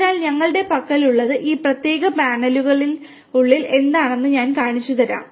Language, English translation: Malayalam, So, what we have I will just show you what is inside this particular panel